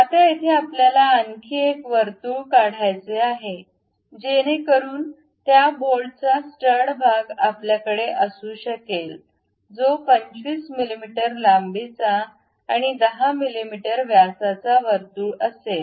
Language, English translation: Marathi, Now, here we would like to draw another circle, so that the stud portion of that bolt we can have it, which will be 25 mm in length and a circle of 10 mm diameter